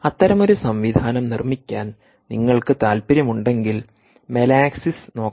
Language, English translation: Malayalam, by the way, if you are interested in building such a system, you could look up melaxis